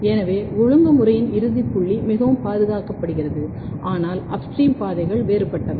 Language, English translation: Tamil, So, the final point of regulation is quite conserved, but the upstream pathways are different quite different